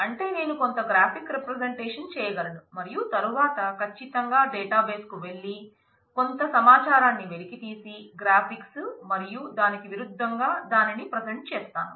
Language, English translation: Telugu, That is I can do some graphic representation and then certainly go to the database extract some information and then present it in the graphics and vice versa